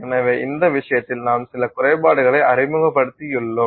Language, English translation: Tamil, So in this case we have introduced some level of defects